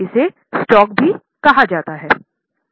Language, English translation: Hindi, It is also called as stock